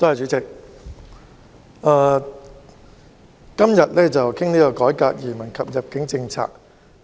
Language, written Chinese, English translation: Cantonese, 主席，今天討論"改革移民及入境政策"議案。, President today we discuss the motion on Reforming the immigration and admission policies